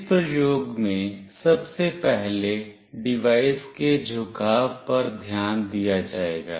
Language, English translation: Hindi, In this experiment firstly will look into the orientation of the device